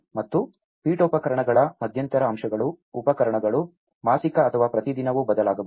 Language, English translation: Kannada, And the stuff, the intermediate elements of furniture, appliances may change even monthly or even daily